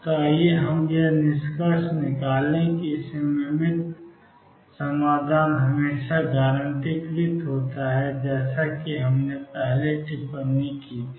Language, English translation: Hindi, So, let us conclude one symmetric solution is always guaranteed as we commented earlier